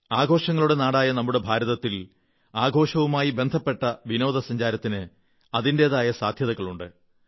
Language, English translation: Malayalam, Our India, the country of festivals, possesses limitless possibilities in the realm of festival tourism